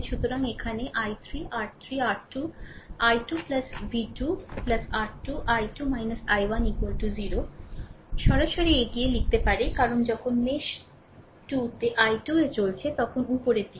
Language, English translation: Bengali, So, here i 3 R 3 R 2 i 2 plus v 2 plus R 2 into i 2 minus i 1 is equal to 0, straight forward, you can write, right because when you are moving in a mesh 2 i 2 is upward